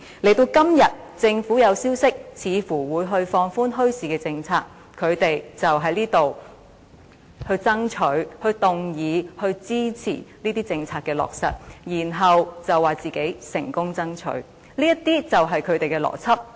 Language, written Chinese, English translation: Cantonese, 到了今天，政府有消息傳出似乎會放寬墟市政策，他們便在這裏爭取、動議和支持這些政策的落實，然後說自己成功爭取，這些便是他們的邏輯。, Now that as there is news from the Government that the policy on bazaars will likely be relaxed they are here to strive for to move motions on and to throw weight behind the implementation of this policy and then say that they have fought for it successfully . This is their logic